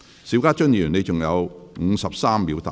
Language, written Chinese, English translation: Cantonese, 邵家臻議員，你還有53秒答辯。, Mr SHIU Ka - chun you still have 53 seconds to reply